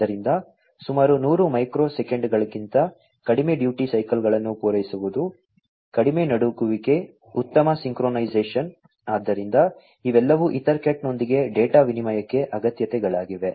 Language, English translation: Kannada, So, you know fulfilling to low duty cycles less than less than about 100 microseconds, low jitter, better synchronization so, all of these are requirements for data exchange with EtherCat